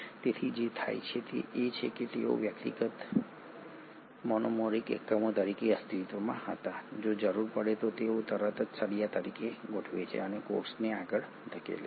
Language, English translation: Gujarati, So what happens is though they were existing as individual monomeric units, if the need be they immediately organise as rods and push the cell forward